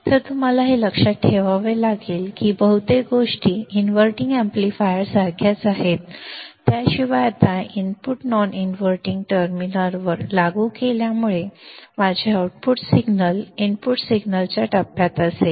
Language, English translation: Marathi, So, you have to remember that most of the things are similar to the inverting amplifier except that now since the input is applied to the non inverting terminal my output signal would be in phase to the input signal